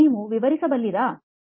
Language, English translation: Kannada, Can you explain